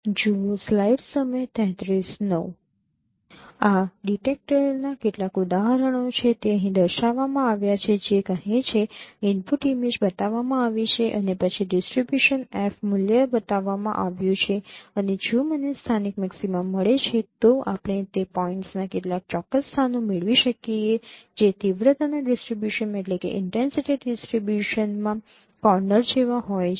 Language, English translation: Gujarati, Some examples of this detector it has been shown here say input image has been shown and then the distribution of wave value has been shown and if I get the local maxima we can get some precise locations of those points which are like corners in the intensity distribution there are sharp changes in those particular points